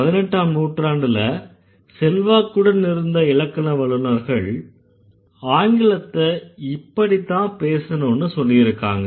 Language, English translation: Tamil, So, the influential grammarian in the 18th century what they did, they claim that English should be spoken in this way